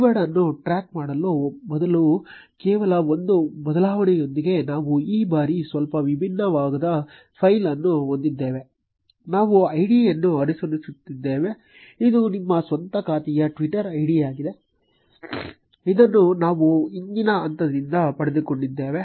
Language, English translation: Kannada, We have a slightly different file this time with only one change instead of tracking a keyword, we are following an id; this is your own account's Twitter id which we got from the previous step